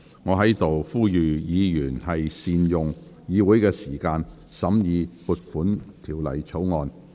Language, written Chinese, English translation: Cantonese, 我在此呼籲議員要善用議會時間，審議《條例草案》。, I hereby urge Members to make effective use of the Councils time to consider the Bill